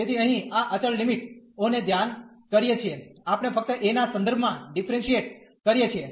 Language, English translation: Gujarati, So, here treating these constant limits, we can just differentiate with respect to a